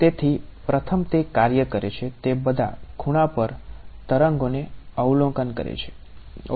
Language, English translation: Gujarati, So, the first is going to be that it works it observes waves at all angles ok